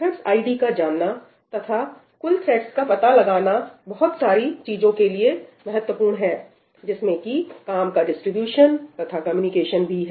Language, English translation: Hindi, Knowing the thread id and total number of threads is important for a lot of things including the distribution of work and communication